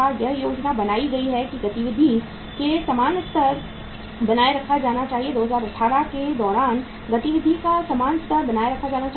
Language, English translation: Hindi, It is planned that level of activity should be maintained during the same level of activity should be planned uh be maintained during the year 2018